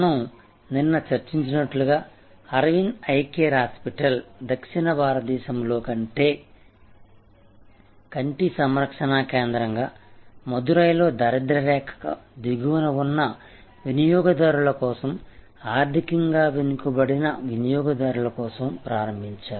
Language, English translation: Telugu, Like we discussed yesterday, Arvind Eye Care Hospital started as an eye care facility in southern India for in Madurai for consumers at the bottom of the economic pyramid, economically deprived consumers